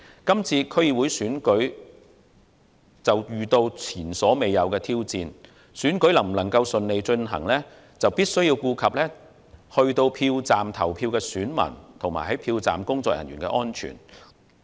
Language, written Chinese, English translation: Cantonese, 這次區選遇到前所未有的挑戰，選舉能否順利進行，必須顧及前往票站投票的選民和票站工作人員的安全。, The DC Election this year is faced with unprecedented challenges and in order to have it successfully held due regard must be given to the personal safety of voters going to the polling stations as well as that of the polling staff